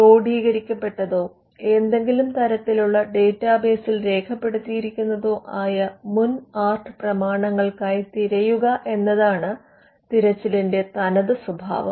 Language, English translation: Malayalam, The very nature of search involves looking for prior art documents which are codified, or which are recorded in some form of a database